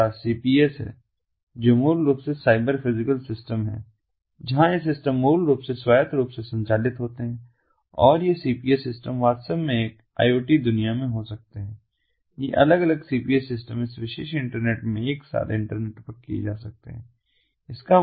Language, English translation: Hindi, we have cps, which is basically the cyberphysical systems, where these systems, basically autonomously they operate and they can, in fact, in an iot world what can happen is these cps systems, these different cps systems, they can be internetwork together in this particular ah ah, internet, that means the internet of things